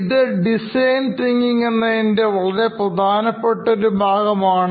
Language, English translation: Malayalam, This pretty much is the central piece of design thinking